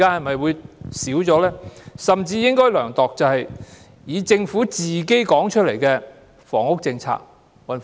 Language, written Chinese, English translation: Cantonese, 我們甚至應該量度的，是政府公布的房屋政策。, We should even assess the housing policy announced by the Government